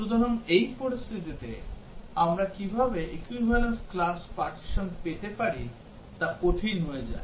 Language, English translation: Bengali, So, for these situations, how do we get the equivalence class partitions becomes difficult